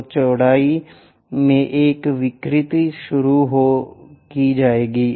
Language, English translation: Hindi, So, a distortion in the width will be introduced